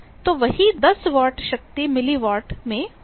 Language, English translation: Hindi, So, the same 10 watt of power will be in milli watt